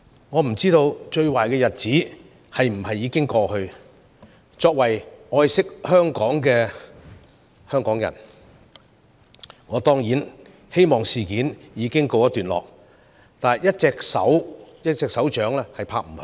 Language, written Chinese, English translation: Cantonese, 我不知道最壞的日子是否已經過去，作為愛惜香港的人，我當然希望事件已告一段落，但一個巴掌拍不響。, I dont know if the worst days are over . As a person who loves Hong Kong I certainly wish that the incident had come to an end . However it takes two hands to clap